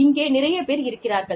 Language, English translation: Tamil, And, there are people here